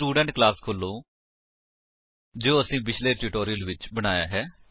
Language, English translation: Punjabi, Open the Student class we had created in the earlier tutorial